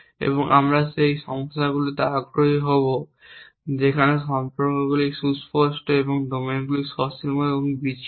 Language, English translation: Bengali, And we will be interested in those problems where the relations are explicit and the domains are finite and discrete